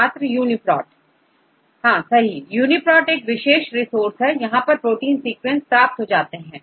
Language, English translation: Hindi, UniProt is a unique resource, we get the protein sequences